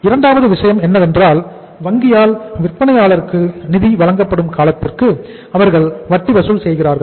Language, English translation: Tamil, And the second thing is they charge the interest for the period for which the funds are being lent by the bank to the seller